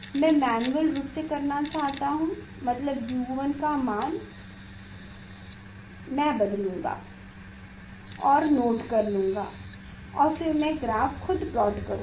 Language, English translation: Hindi, I want to do manually means I will change the; I will change the U 1 and note down the; note down the I A and then I will plot